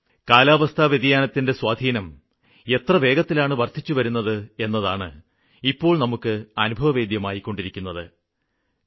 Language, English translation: Malayalam, We are now realizing the effects of climate change very rapidly